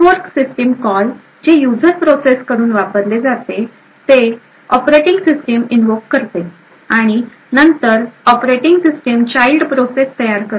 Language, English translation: Marathi, The fork system called which is used by the user processes would invoke the operating system and then the operating system would create a child process